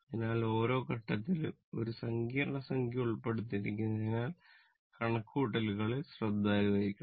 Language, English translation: Malayalam, So, we have to be careful about the calculation because complex number is involved in every step